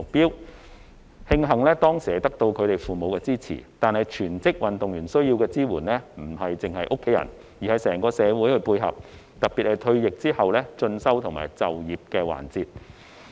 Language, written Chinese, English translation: Cantonese, 令人慶幸的是，他們當時得到父母的支持，但全職運動員需要的支援不單來自家人，他們退役後在進修和就業的環節上，尤其需要整個社會的配合。, It is glad that they had their parents support back then . However the support that full - time athletes need does not come only from their family members; rather they particularly need the complements from the whole community in further studies and employment after retirement